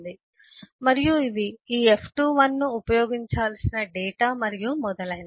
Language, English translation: Telugu, these are the data on which eh, this f21, should be used, and so on in